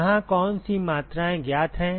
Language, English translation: Hindi, What are the quantities which are known here